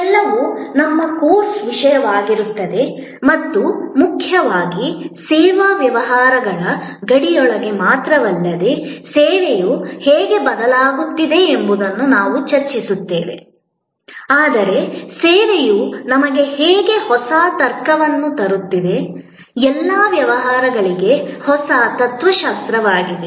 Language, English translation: Kannada, All these will be our course content and most importantly, we will discuss how service is changing not only within the boundary of the service businesses, but how service is bringing to us a new logic, a new philosophy for all businesses